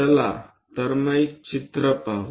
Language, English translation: Marathi, So, let us look at the picture